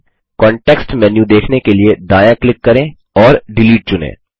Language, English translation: Hindi, Right click to view the context menu and select Delete